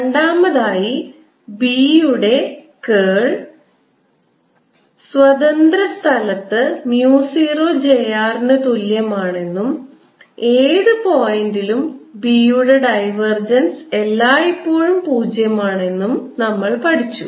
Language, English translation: Malayalam, second, we learnt that curl of b is equal to mu zero, j r in free space and divergence of b at any point is always zero